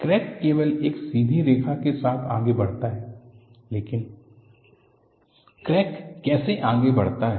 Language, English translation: Hindi, The crack by itself advances only along the straight line, but how does the crack advances